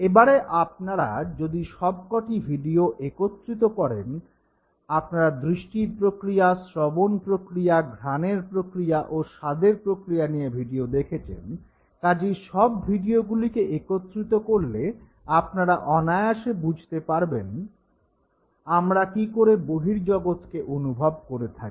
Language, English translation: Bengali, Now if you combine all the videos that you have seen, you saw a video for the visual mechanism, you saw the video for the auditory mechanism; you saw the video for the olfactory mechanism, and finally the taste mechanism, so if you combine all these videos that you saw right now you can very easily sense that fine This is how we make a sense of the world okay